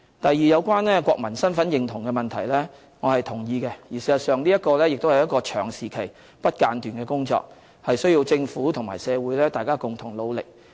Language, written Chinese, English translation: Cantonese, 第二，有關國民身份認同的問題，我是同意的。事實上，這亦是一個長時期、不間斷的工作，需要政府和社會大家共同努力。, Secondly I also agree with the views on national identity and this is in fact an area of work which requires long - term attention ceaseless endeavours and concerted efforts of the Government and the general public